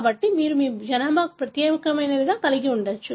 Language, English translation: Telugu, So, you may be having something unique to your population